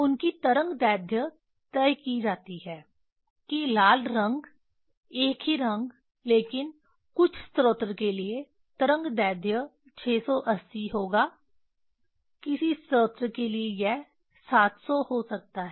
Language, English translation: Hindi, Their wavelength are fixed that red color same color, but wavelength for some source it will be 680, some source it may be 700